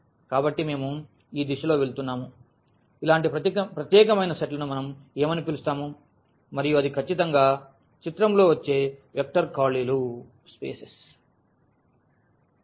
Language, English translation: Telugu, So, we are going into this direction that what do we call these such special sets and that is exactly the vector spaces coming into the picture